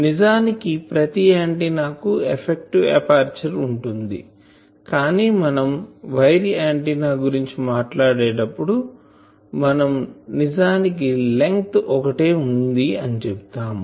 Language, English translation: Telugu, This is called Effective Aperture of an Antenna, actually every antenna has an effective aperture, but you see that when we talk of wire antenna, we say that I really that has only a length